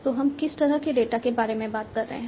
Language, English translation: Hindi, So, what kind of data we are talking about